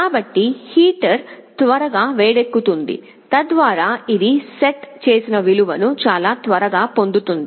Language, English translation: Telugu, So, the heater heats up quickly so that it very quickly attains the set value